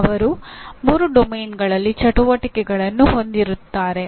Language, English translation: Kannada, They will have activities in all the three domains